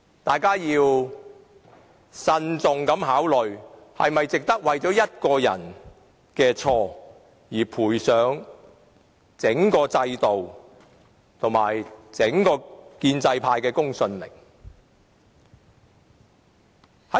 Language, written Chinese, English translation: Cantonese, 大家要慎重考慮是否值得為一個人的錯誤而賠上整個制度，以及整個建制派的公信力。, Members should thus think carefully if it is worthwhile to put the credibility of the entire system and that of the pro - establishment camp at stake for the wrongdoings of just one person